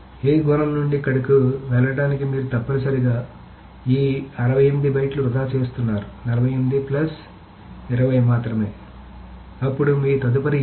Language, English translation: Telugu, So to go from attribute A to here, you are essentially wasting going over 68, this 48 plus this 20, only then you are reaching the next A